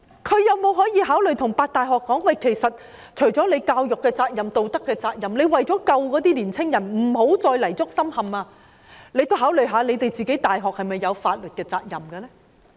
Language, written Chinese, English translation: Cantonese, 他有否考慮對8間大學校長說，除了教育責任及道德責任外，為了拯救那些青年人，不要再泥足深陷，大學也應該考慮是否有法律責任呢？, Has he considered saying to the vice - chancellors or presidents of the eight universities that apart from education and moral responsibilities in order to rescue those young people from this quagmire they should also think about whether the universities have any legal responsibility? . They are empowered to manage their respective campuses